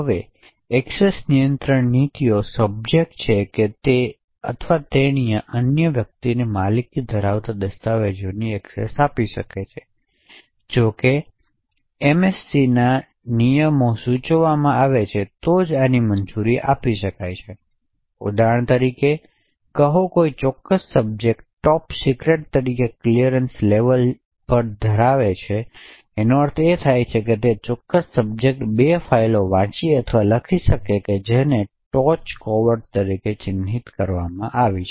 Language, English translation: Gujarati, Now with the discretionary access control policies are subject may grant access to a document that he or she owns to another individual, however this can only be permitted provided the MAC rules are meant, so for example say that a particular subject as a top secret clearance level, so this means that, that particular subject can read or write two files which are marked as top secret